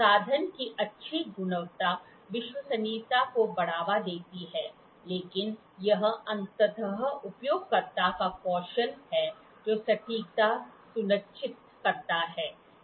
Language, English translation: Hindi, Good quality of instrument promotes reliability, but it is ultimately the skill of the user that ensures accuracy